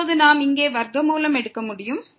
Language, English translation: Tamil, And now, we can take the square root here